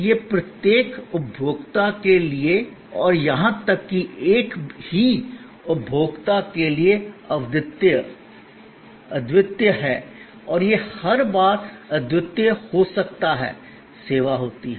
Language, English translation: Hindi, It is unique for each consumer and even for the same consumer; it may be unique every time, the service occurs